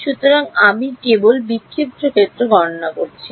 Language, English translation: Bengali, So I am only calculating the scattered field